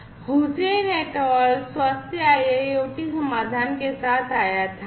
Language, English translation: Hindi, came up with the health IIoT solution